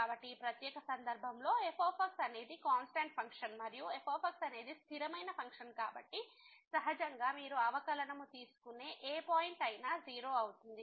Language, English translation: Telugu, So, in this particular case is the constant function, and since is the constant function naturally whatever point you take the derivative is going to be